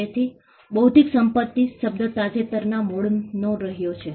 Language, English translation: Gujarati, So, the term intellectual property has been of a recent origin